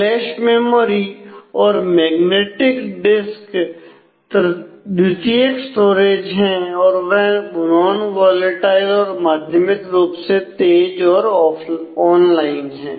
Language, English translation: Hindi, So, flash memory and magnetic disk are secondary storage they are non volatile and moderately fast and they are online